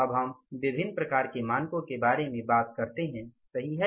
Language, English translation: Hindi, Now we talk about the different types of the standards, right